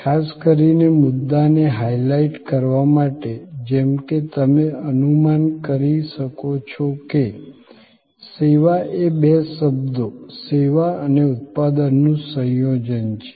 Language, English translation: Gujarati, Particularly to highlight the point, as you can guess servuction is a combination of two words service and production